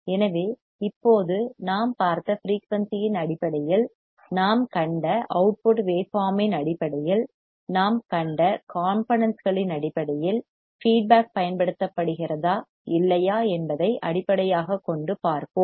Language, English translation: Tamil, So, based on the component we have seen based on the output waveform we have seen based on the frequency we have seen now let us see based on whether feedback is used or not